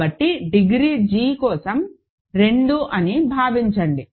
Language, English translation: Telugu, So, assume that degree g is at least 2